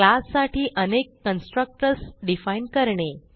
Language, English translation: Marathi, Define multiple constructors for a class